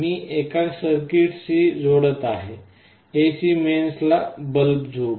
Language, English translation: Marathi, This I am connecting to a circuit, let us say a bulb to the AC mains